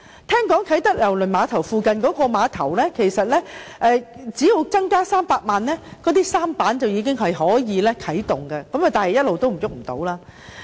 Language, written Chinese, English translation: Cantonese, 據聞啟德郵輪碼頭附近的碼頭，只要投資300萬元，便可啟動舢舨服務，但一直未能推行。, It is reported that an investment of 3 million only is needed to operate a sampan service at the pier near Kai Tak Cruise Terminal but it has not been put into action